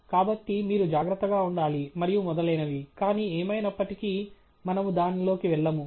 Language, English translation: Telugu, So, you have to be careful and so on, but, anyway, we will not go into that